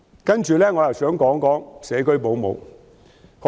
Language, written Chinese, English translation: Cantonese, 接着，我想談談社區保姆。, Next I wish to talk about home - based child carers